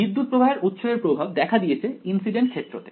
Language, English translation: Bengali, The influence of the current source has made its appearance in the incident field right